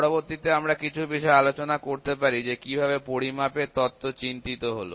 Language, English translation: Bengali, Next we can discuss something here about how the theory of measurement is devised